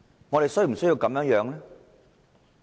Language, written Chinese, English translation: Cantonese, 我們是否需要這樣？, Do they really have to go so far?